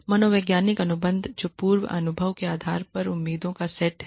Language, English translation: Hindi, Psychological contracts which is the set of expectations based on prior experience